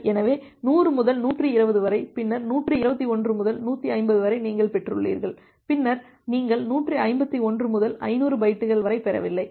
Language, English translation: Tamil, Ok, so, you have received from say 100 to 120, then 121 to 150, you have not received then from 151 to some 500 byte you have received